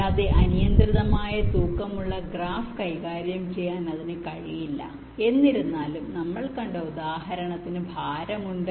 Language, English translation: Malayalam, and it cannot handle arbitrarily weighted graph, although the example that we have seen has weight